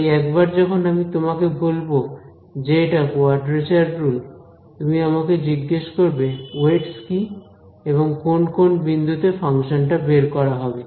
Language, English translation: Bengali, So, once I give you once I tell you that here is a quadrature rule, you should ask me what are the weights, what are the function evaluation points